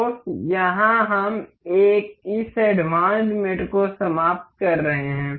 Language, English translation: Hindi, So, here we are finished this advanced mates